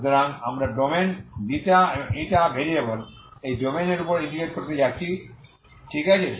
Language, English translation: Bengali, So we are going to integrate over this domain in the ξ , η variables, okay